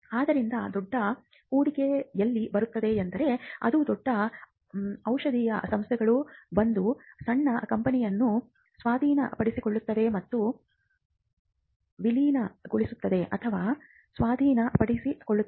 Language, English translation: Kannada, So, where the big investment comes that is the point at which the bigger pharmaceutical firms will come and take over or merge or acquire a smaller company